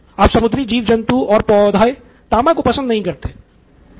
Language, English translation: Hindi, Now marine life does not like copper